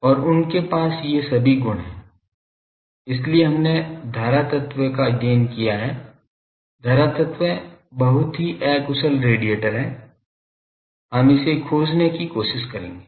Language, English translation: Hindi, And, they have these all properties that is why we studied current element, current element is the very inefficient radiator, we will try to find that